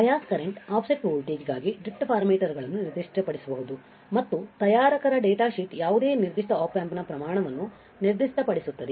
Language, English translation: Kannada, The drift parameters can be specified for the bias current offset voltage and the like the manufacturers datasheet specifies the quantity of any particular Op Amp